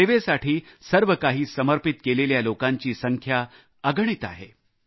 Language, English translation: Marathi, There are innumerable people who are willing to give their all in the service of others